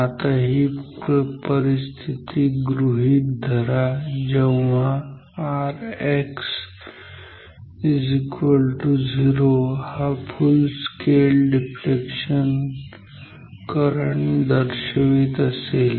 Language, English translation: Marathi, Now, we know that R X equal to 0 corresponds to the full scale deflection current